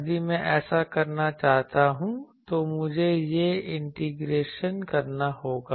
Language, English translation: Hindi, If I want to do this I will have to perform this integration